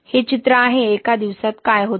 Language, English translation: Marathi, This is picture at one day, what happens in one day